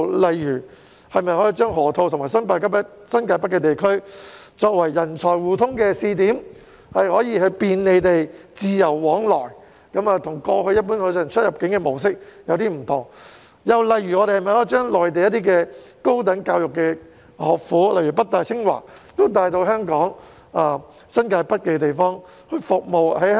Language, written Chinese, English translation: Cantonese, 例如，把河套和新界北地區作為人才互通的試點，讓他們可以便利地自由往來，這與過去一般的出入境模式有所不同；又例如把內地的高等教育學府如北京大學、清華大學帶到香港新界北，服務香港的人才。, One example is using the Loop and New Territories North as pilot sites for the exchange of talents so that unlike the general immigration clearance arrangements in the past people can travel to and forth conveniently and freely . Another example is bringing Mainlands higher education institutions such as the Peking University and the Tsinghua University to New Territories North to serve the talents of Hong Kong